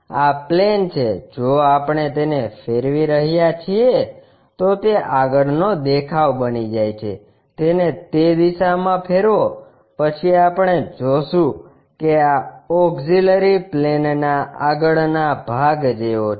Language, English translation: Gujarati, This is the plane if we are rotating it then that becomes the front view, rotate it in that direction then we will see that is as the frontal view of this auxiliary plane